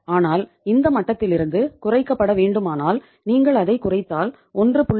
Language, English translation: Tamil, But if it is to be reduced from this level if you reduce from it goes down below 1